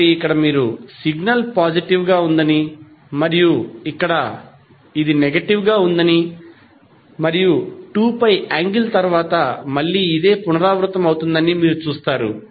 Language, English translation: Telugu, So, here you see the signal is positive and here it is negative and again it is repeating after the angle of 2 pi